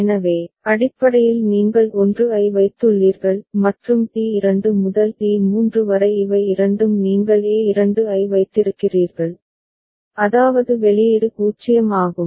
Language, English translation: Tamil, So, basically you have put the 1; and T2 to T3 these two are leading you have put a2 which is, output is 0